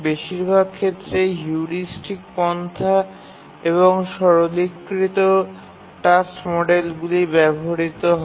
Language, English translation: Bengali, Mostly heuristic approaches are used and also we use a simplified task models